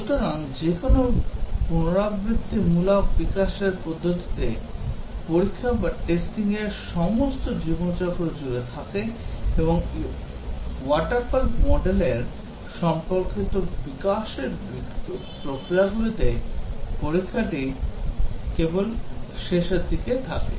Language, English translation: Bengali, So, in any iterative development methodology testing is present all through the life cycle and in the water fall and its related development processes, testing is only towards the end